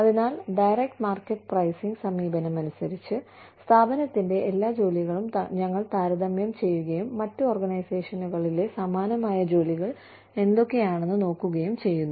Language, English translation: Malayalam, So, as the direct market pricing approach, for all of the firm's jobs, we compare, and we see, what similar jobs, in other organizations are being paid